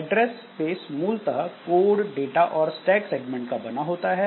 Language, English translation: Hindi, So, address space is basically the code data and stack segment